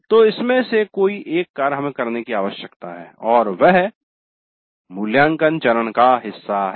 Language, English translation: Hindi, So, one of these actions we need to do and that's part of the evaluate phase